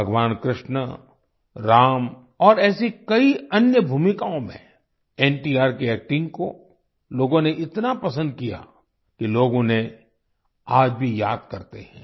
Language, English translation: Hindi, People liked NTR's acting in the roles of Bhagwan Krishna, Ram and many others, so much that they still remember him